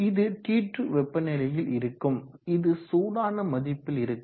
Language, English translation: Tamil, And it is at temperature T2 which is less than T1